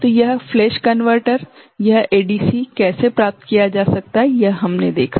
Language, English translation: Hindi, So, this is how flash converter, this ADC can be achieved